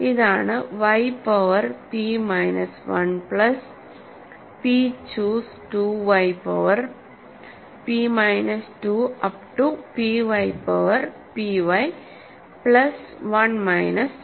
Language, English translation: Malayalam, This is y power p plus p y power p minus 1 plus p choose 2 y power p minus 2 all the way up to p y power p y, right plus 1 minus 1